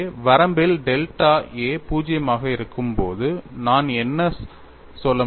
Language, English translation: Tamil, So, in the limit when delta a tends to 0 what I can say